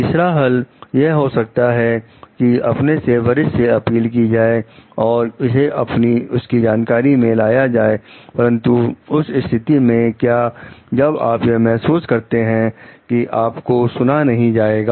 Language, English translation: Hindi, Solution 3 like appealing seniors and bringing it to their notice; so, but what in case if you feel like, you will not be heard